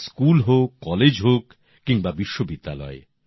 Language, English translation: Bengali, Whether it is at the level of school, college, or university